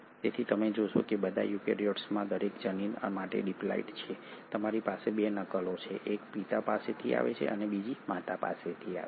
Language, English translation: Gujarati, So you find that all the eukaryotes are diploid for every gene you have 2 copies one coming from the father and the other coming from the mother